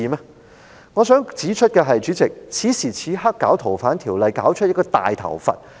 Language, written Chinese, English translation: Cantonese, 主席，我想指出，在此時此刻推行《條例》修訂而弄出一個大問題。, Chairman I wish to point out that the attempt to amend FOO at this juncture has created a big problem